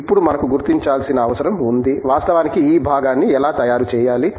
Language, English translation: Telugu, Now, it is necessary for us to figure out, how to actually manufacture this component